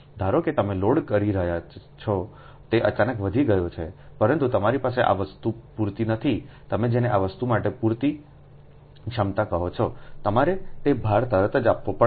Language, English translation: Gujarati, suppose you load has suddenly increase, suddenly increase, but as you dont have sufficient this thing ah, your what you call ah, sufficient ah capacity to this thing ah, that you have to immediately supply that load